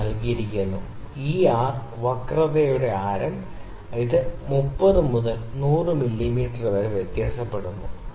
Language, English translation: Malayalam, The radius of curvature this R value that is given here, this varies from 30 to 10,000 mm